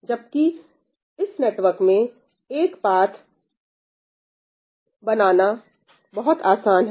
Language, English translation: Hindi, Whereas in this network a path it is easy to make it